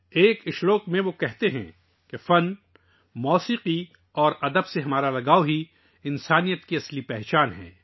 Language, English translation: Urdu, In one of the verses he says that one's attachment to art, music and literature is the real identity of humanity